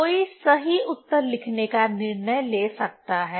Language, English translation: Hindi, One can decide to write the correct answer